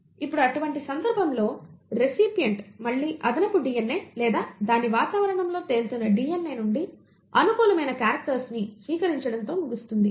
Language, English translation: Telugu, Now, in such a case the recipient again ends up receiving favourable characters from the extra DNA or rather the DNA which is floating around in its environment